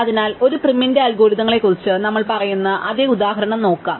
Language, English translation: Malayalam, So, let us look at the same example that we saw for prim's algorithms